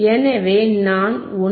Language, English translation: Tamil, If I go to 1